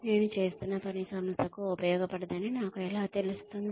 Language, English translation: Telugu, How will I know that, the work that I am doing, is not useful for the organization